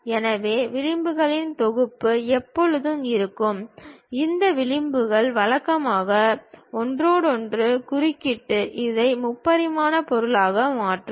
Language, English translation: Tamil, So, set of edges always be there and these edges usually intersect with each other to make it a three dimensional object